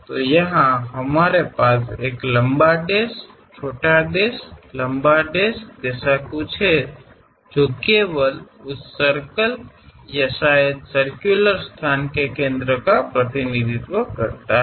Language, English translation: Hindi, So, here we have something like a long dash, short dash, long dash just to represent the centre of that circle or perhaps circular location